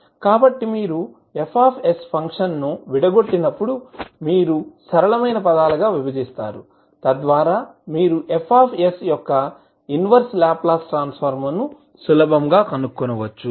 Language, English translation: Telugu, So, when you break the function F s, you will break into simpler terms, so that you can easily find the inverse Laplace transform of F s